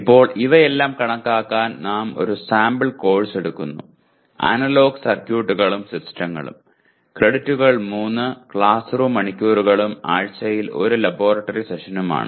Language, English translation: Malayalam, Now to compute all these we take a sample course, Analog Circuits and Systems, credits are 3 classroom hours and 1 laboratory session per week